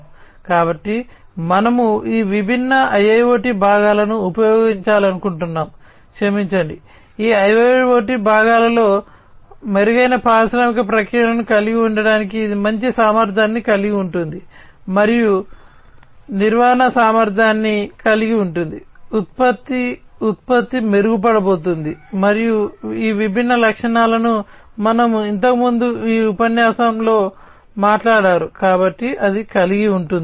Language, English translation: Telugu, So, we want to use these different IIoT components, sorry, in this IoT components in it in order to have improved industrial processes, which will have you know better efficiency, and manageability, product production is going to be improved and all these different features that we have talked about in this lecture earlier, so going to have that